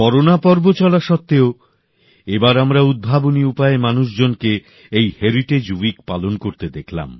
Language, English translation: Bengali, In spite of these times of corona, this time, we saw people celebrate this Heritage week in an innovative manner